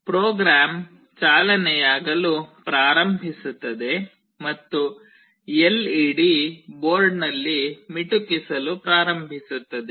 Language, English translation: Kannada, The program starts running and the LED starts blinking on the board